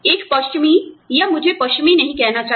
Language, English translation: Hindi, A western, or, i should not say western